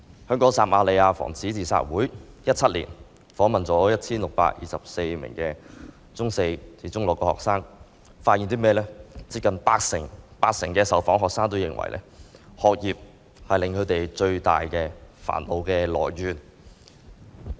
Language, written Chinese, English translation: Cantonese, 香港撒瑪利亞防止自殺會在2017年訪問了 1,624 名中四至中六學生，發現近八成受訪學生認為，學業是他們最大的煩惱來源。, The Samaritan Befrienders Hong Kong conducted a survey on 1 624 Secondary 4 to 6 students in 2017 and some 80 % of the respondents said that education was the biggest source of distress